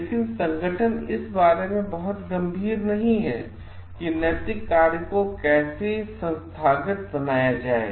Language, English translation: Hindi, But the organization is not very serious about like how to institutionalize the ethical practices